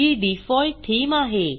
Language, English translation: Marathi, See the Default Theme here